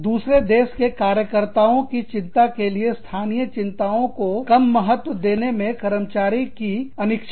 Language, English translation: Hindi, Employee unwillingness, to subordinate local concerns, to the concerns of workers, in other countries